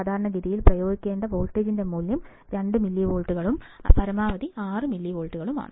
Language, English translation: Malayalam, Typically, value of voltage to be applied is 2 millivolts and maximum is 6 millivolts